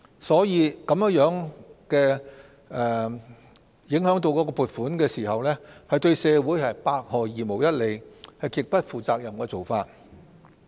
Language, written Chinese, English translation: Cantonese, 所以，撥款受影響對社會百害而無一利，是極不負責任的做法。, For that reason the impact on the allocation will only do harm to society such a request is utterly irresponsible